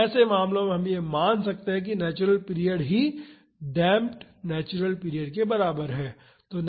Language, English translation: Hindi, So, in such cases we can consider that the natural period is equal to the damped natural period